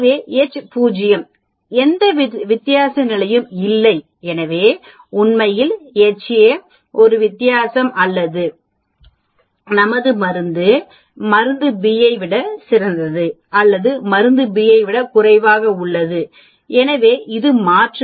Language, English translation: Tamil, So, H naught is no difference status and so on actually, H a is there is a difference or drug a is better than drug b or drug a is less than drug b and so on that is the alternative